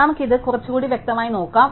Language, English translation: Malayalam, Let us look at this little more concretely